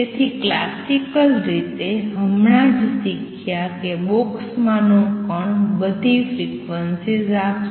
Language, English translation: Gujarati, So, classically just learnt that particle in a box will give all frequencies